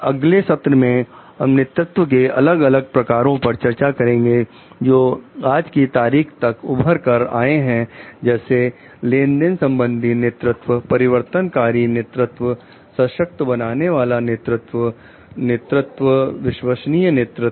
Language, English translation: Hindi, In the next session, we are going to discuss the different forms of leadership, which has emerged till date like transactional leadership, transformational leadership, empowering leadership, ethical leadership, authentic leadership